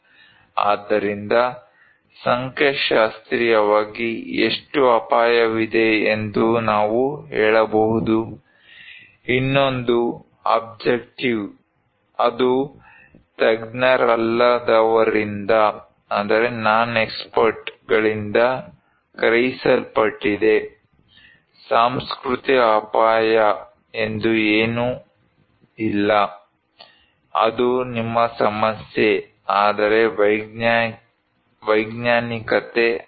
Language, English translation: Kannada, So, statistically we can say how much risk is there, another one is the subjective one that perceived by non expert, there is nothing called cultural risk, it is your problem man, but there is a scientific